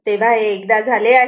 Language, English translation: Marathi, So, once it is done